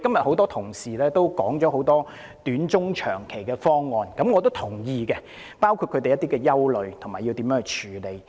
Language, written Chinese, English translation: Cantonese, 很多同事今天提出了很多短中長期的方案、他們的憂慮，以及須如何處理，我也是贊同的。, Today many Honourable colleagues have put forward many short - term medium - term and long - term proposals . I agree with their concerns and ways to deal with the problems